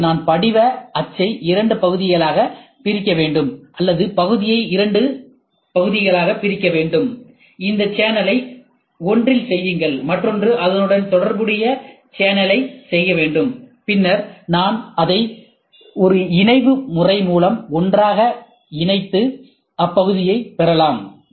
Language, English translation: Tamil, If I want to make it, I have to split the die into two parts or the part into two parts do a channel at one, do a corresponding channel on the other, then I have to mount it together by a fasting method, and then I get this block